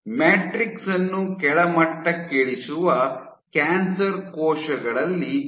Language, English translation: Kannada, So, the answer lies in cancer cells degrading the matrix